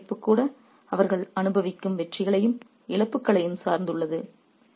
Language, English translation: Tamil, Even the political turmoil is dependent on the wins and the loses that they suffer